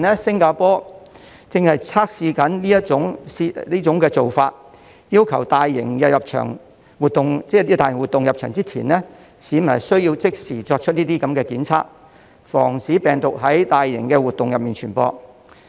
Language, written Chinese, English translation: Cantonese, 新加坡正在測試這種做法，要求參加大型活動的市民，在入場前要即時檢測，防止病毒在大型活動中傳播。, Singapore has been testing it . The Singaporean Government requires its people to take the test immediately before entering the venues of large - scale activities to prevent the spread of the virus . In fact Hong Kong can learn from this experience